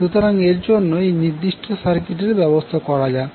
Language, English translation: Bengali, So for that lets consider this particular circuit arrangement